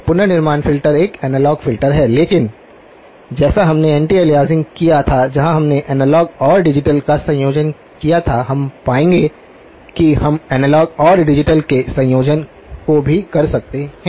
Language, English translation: Hindi, The reconstruction filter is an analog filter but just like we did anti aliasing where we did a combination of analog and digital, we will find that we can do a combination of analogue and digital as well